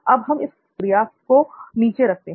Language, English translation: Hindi, So let us keep that activity just underneath